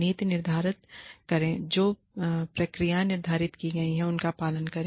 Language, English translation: Hindi, Lay down a policy, and follow the procedures, that have been laid down